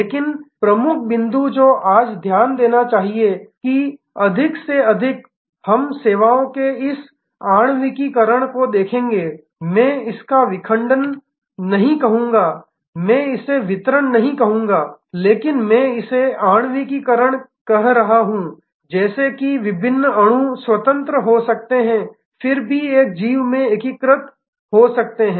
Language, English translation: Hindi, But, the key point that one should note today, that more and more we will see this molecularization of services I would not call it fragmentation I would not call it distribution, but I am calling it molecularization, because just as different molecules can be independent yet integrated into an organism